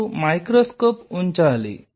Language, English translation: Telugu, You have to place microscope